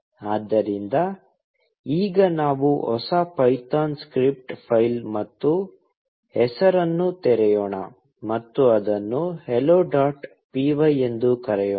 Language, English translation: Kannada, So, now, let us open a new python script file, and name, and call it, hello dot py